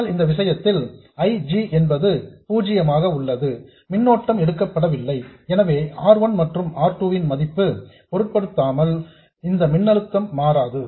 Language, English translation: Tamil, But in our case IG is zero, no current is drawn so this voltage will not change at all regardless of the value of R1 and R2